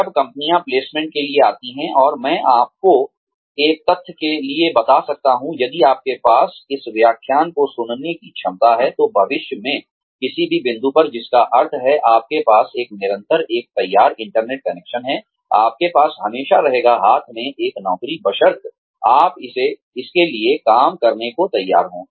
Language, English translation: Hindi, When companies come for placements, and I can tell you for a fact, if you have the capacity to listen to this lecture, at any point in the future, which means, you have a constant, a ready internet connection, you will always have a job in hand, provided, you are willing to work for it